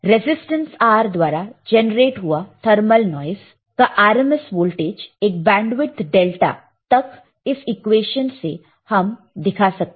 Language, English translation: Hindi, The RMS voltage due to thermal noise generated a resistance R over a bandwidth delta F is given by this equation